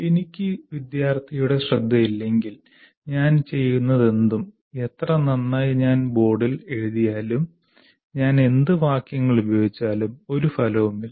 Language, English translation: Malayalam, If I don't have the attention of the student, whatever I do, however well I write on the board, whatever sentences that I use, there are no consequence if the student is not paying attention